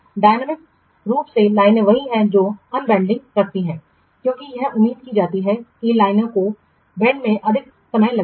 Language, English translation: Hindi, Dynamically the lines are just what keeping on bending as it is expected that this will take more time the lines are being banded